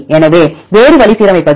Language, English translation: Tamil, So, a different way is to align